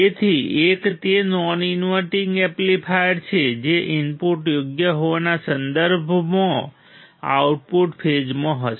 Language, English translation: Gujarati, So, one it is non inverting amplifier the output will be in phase with respect to the input correct